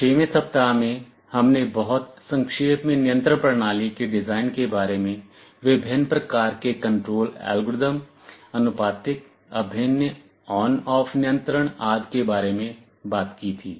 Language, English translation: Hindi, In the 6th week, we very briefly talked about the design of control systems, various kinds of control algorithms – proportional, integral, on off control etc